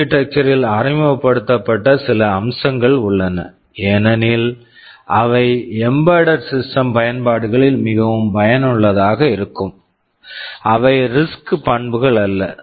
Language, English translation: Tamil, ;T there are some features which that have been introduced in the architecture because they are very useful in embedded system applications, which are not RISC characteristics